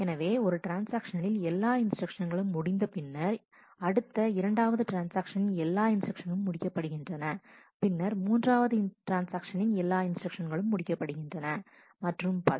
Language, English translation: Tamil, So, all instructions of one transaction complete, then all instructions of the second transaction complete, then all instructions of the third transaction complete and so on